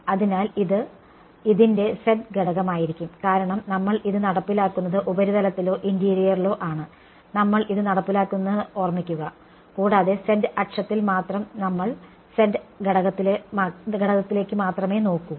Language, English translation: Malayalam, So, this is going to be the z component of it because remember we are enforcing this along we started by say along the surface or on the interior and along the z axis only we are only looking at the z component